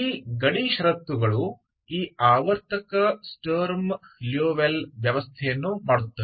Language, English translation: Kannada, With these boundary conditions so it makes this periodic Sturm Liouville system